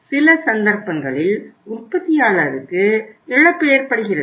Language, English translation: Tamil, In some cases there is a loss to the manufacturer